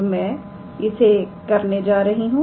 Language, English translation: Hindi, So, how we are going to do that